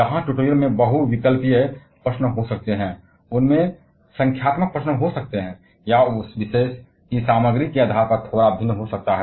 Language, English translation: Hindi, Where the tutorial may contain multiple choice questions, may contain the numerical problems or may have slightly discrete one as well, depending upon the content of that particular module